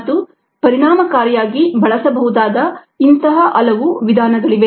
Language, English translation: Kannada, they can be used and there are many such methods that can be effectively